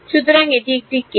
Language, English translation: Bengali, So, that is one case